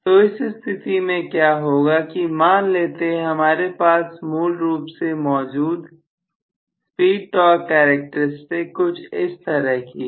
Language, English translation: Hindi, So what is going to happen in this particular case is let us say I have the original speed torque characteristics somewhat like this